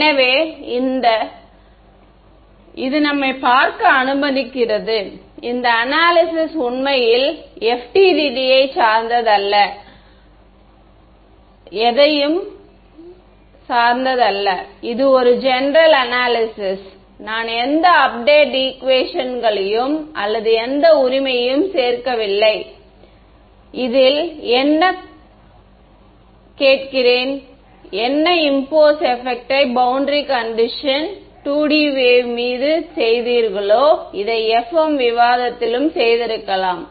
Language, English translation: Tamil, So, this allows us to see ah, I mean this analysis actually does not depend on FDTD or anything, it is a general analysis, I have not included any update equations or whatever right, I am what I am asking in this, what is the effect of imposing this boundary condition on a 2D wave that is all, you could have done this in the FEM discussion as well